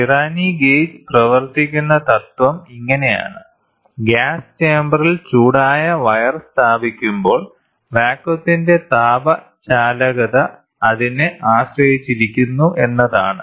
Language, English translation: Malayalam, The principle on which a Pirani gauge work is thus when a heated wire is placed in the chamber of gas, thermal conductivity of the gas depends on it is pressure